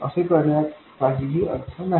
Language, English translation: Marathi, There is no point in doing that